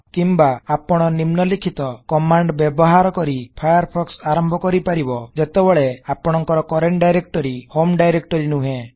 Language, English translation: Odia, Alternately, you can launch Firefox by using the following command when your current directory is not the home directory